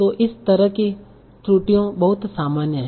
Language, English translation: Hindi, So that is, so this kind of errors are very common